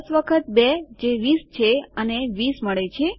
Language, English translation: Gujarati, 10 times 2 is 20 and weve got 20